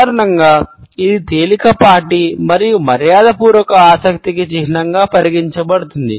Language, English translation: Telugu, Normally, it is considered to be a sign of mild and polite interest